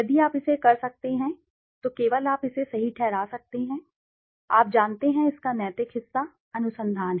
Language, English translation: Hindi, If you can do it, then only you can justify the, you know, the ethical part of it, the research